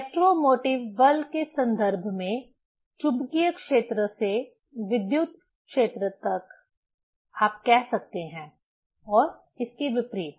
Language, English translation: Hindi, From magnetic field to the electric field in terms of the electromotive force, you can say and vice versa